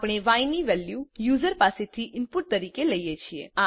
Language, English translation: Gujarati, we take the value of y as input from the user